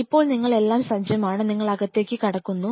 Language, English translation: Malayalam, Now you are all set, do you know enter the facility